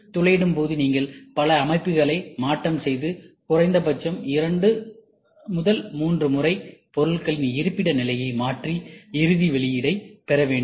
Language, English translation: Tamil, In drilling also you should have multiple set ups, at least you should have 2 3 times you have to shift the part to so that you try to get the final output